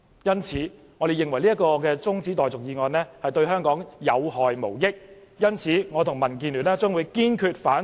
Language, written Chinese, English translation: Cantonese, 因此，我們認為中止待續議案對香港有害無益，我和民建聯堅決反對中止待續議案。, Hence we think that the adjournment motion is harmful to Hong Kong DAB and I thus raise strong objection